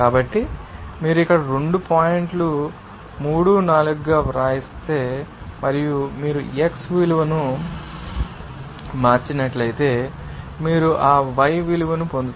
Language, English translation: Telugu, So, if you write here Alpha as 2 points you know, 3, 4, and if you change the value of x accordingly you will get that y value